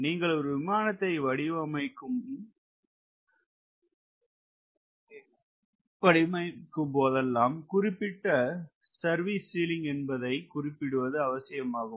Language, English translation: Tamil, whenever you design an aircraft, you have to specify a specified service ceiling which you know